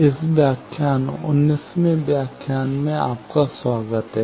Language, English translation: Hindi, Welcome to this lecture, 19th lecture